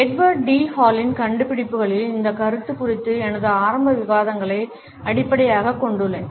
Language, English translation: Tamil, I would base my initial discussions over this concept on the findings of Edward T Hall